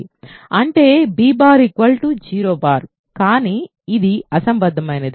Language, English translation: Telugu, That means b bar is 0 bar, but this is absurd right